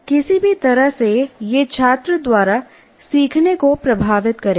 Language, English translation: Hindi, In either way, it will influence the learning by the student